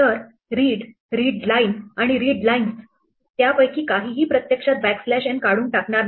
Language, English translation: Marathi, So, read, readline and readlines, none of them will actually remove the backslash n